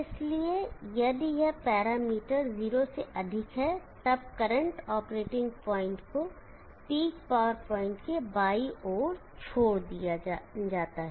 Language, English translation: Hindi, So if this parameter is greater than 0, then the current operating point is left to the left of the peak power point